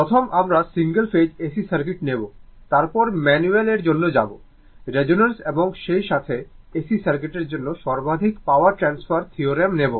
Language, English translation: Bengali, First what we will do, we will take the single phase AC circuit, then will go for your manual, your resonance and as well as that maximum power transfer theorem for AC circuit